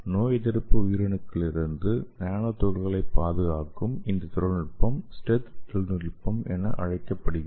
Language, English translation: Tamil, So that will protect your nano particle from the immune cells and that technology is called as stealth technology